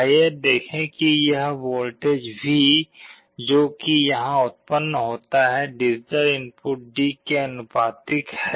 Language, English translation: Hindi, Let us see how this voltage V which is generated here, is proportional to the digital input D